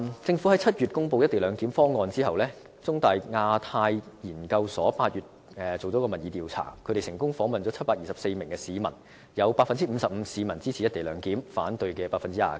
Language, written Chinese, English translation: Cantonese, 政府在7月公布"一地兩檢"後，中大香港亞太研究所在8月進行了民意調查，成功訪問了724名市民，有 55% 市民支持"一地兩檢"，反對的有 29%。, After the Government announced the co - location arrangement in July the Hong Kong Institute of Asia - Pacific Studies of The Chinese University of Hong Kong consulted an opinion poll in August and 724 people were successfully surveyed